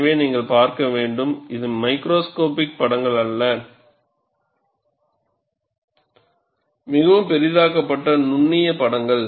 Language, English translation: Tamil, So, you have to look at, these are not macroscopic pictures; highly magnified microscopic pictures